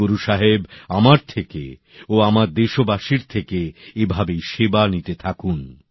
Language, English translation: Bengali, May Guru Sahib keep taking services from me and countrymen in the same manner